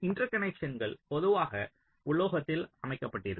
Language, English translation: Tamil, inter connections are typically laid out on metal